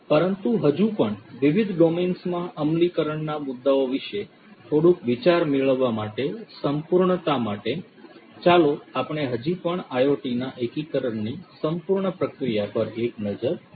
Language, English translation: Gujarati, But still for completeness sake for getting a bit of idea about implementation issues in different different domains, let us still have a relook at the entire process of integration of IoT